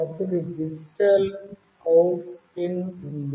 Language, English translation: Telugu, Then there is a digital out pin